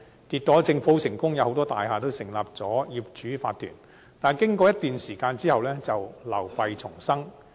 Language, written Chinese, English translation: Cantonese, 結果，政府成功達到目的，很多大廈都成立了業主法團，但經過一段時間後，便流弊叢生。, The result shows that the Government has successfully achieved this objective in the sense that OCs have been formed in many buildings . But after the passage of some time many shortcomings have emerged